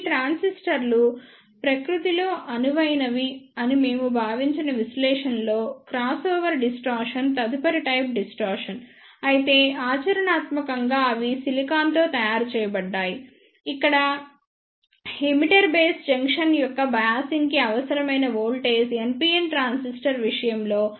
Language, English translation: Telugu, The next type of distortion is the crossover distortion in the analysis we assumed that these transistors are ideal in nature, but practically they are made of silicon then here the voltage required for the biasing of emitter base junction is 0